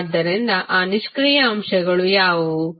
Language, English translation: Kannada, So, what are those passive elements